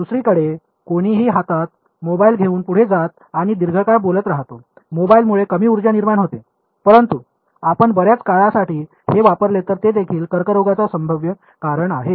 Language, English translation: Marathi, On the other hand someone carrying the mobile next to their hand and talking for extended periods of time; mobile produces less power, but if you keep it held for a long time that is also a possible cause for cancer